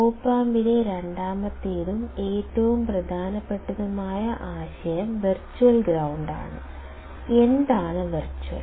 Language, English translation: Malayalam, Second and the most important concept in op amp is the virtual ground; what is virtual